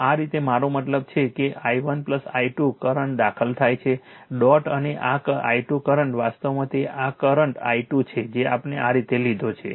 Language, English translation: Gujarati, So, this way I mean this; that means, i 1 plus i 2 current entering into the dot and this i 2 current actually it is your this is the current i 2 we have taken like this